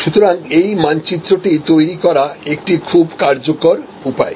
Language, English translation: Bengali, So, this map therefore, this is a very useful way of creating